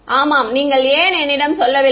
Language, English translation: Tamil, Yeah why don't you tell me